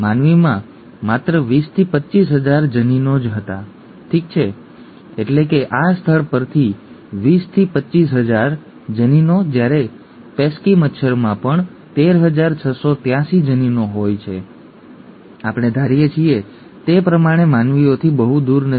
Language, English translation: Gujarati, Humans had only 20 to 25 thousand genes, okay, that is from this site 20 to 25 thousand genes whereas even a pesky mosquito has about 13,683 genes, okay, not, not far apart from humans as we thought